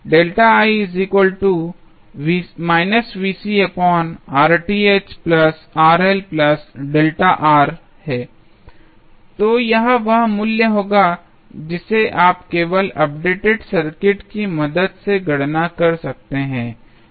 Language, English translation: Hindi, So, this would be the value you can simply calculate with the help of the updated circuit